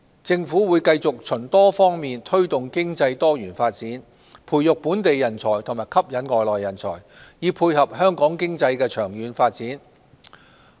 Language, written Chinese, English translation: Cantonese, 政府會繼續循多方面推動經濟多元發展、培育本地人才及吸引外來人才，以配合香港經濟的長遠發展。, The Government will continue to promote diversified economic development foster local talents and attract foreign talents in various aspects to tie in with the long - term development of the Hong Kong economy